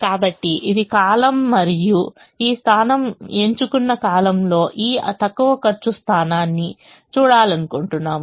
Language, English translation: Telugu, so this is the column and we would like to look at this least cost position in the chosen column, which is this position